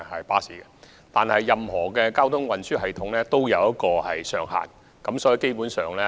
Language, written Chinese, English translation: Cantonese, 不過，任何交通運輸工具都有乘載上限。, But any mode of transport has its own maximum seating capacity